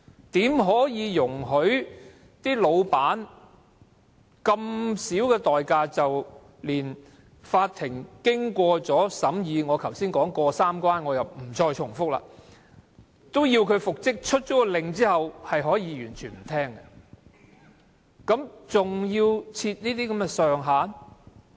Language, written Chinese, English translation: Cantonese, 怎可以容許老闆以如此低的代價，連法庭經過審議——我剛才說"過三關"，我也不再重複——發出要求讓僱員復職的命令後，老闆都可以完全不聽，還要設這些上限？, How can an employer be allowed to totally ignore the reinstatement order made by the court after deliberation―I mentioned the three hurdles earlier which I will not repeat now―by paying such a low price? . And why should a ceiling be set?